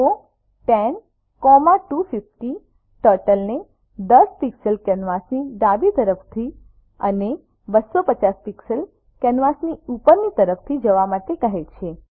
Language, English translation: Gujarati, go 10,250 commands Turtle to go 10 pixels from left of canvas and 250 pixels from top of canvas